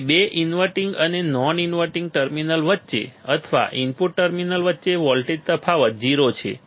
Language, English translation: Gujarati, So, voltage difference between the two inverting and non inverting terminal or between the input terminals to be 0, to be 0 ok